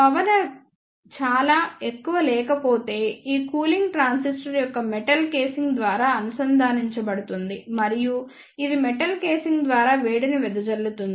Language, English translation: Telugu, If the power is not very high then this cooling is provide through the metal casing of the transistor and it dissipates heat through the metal casing